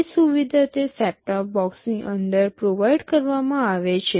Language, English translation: Gujarati, That facility is provided inside that set top box